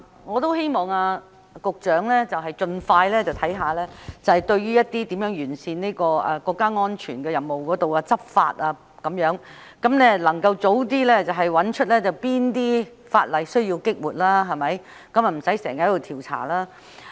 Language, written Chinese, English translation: Cantonese, 我也希望局長盡快檢視如何完善維護國家安全這任務的執法，能夠早日找出哪些法例需要"激活"，便無需經常進行調查。, I also hope that the Secretary can expeditiously examine how to improve law enforcement in performing the mission of safeguarding national security and identify which ordinances need to be revived so as to obviate the need of conducting frequent investigations